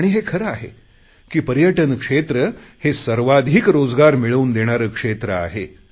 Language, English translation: Marathi, Tourism is a sector that provides maximum employment